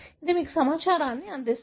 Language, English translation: Telugu, So, it gives you the information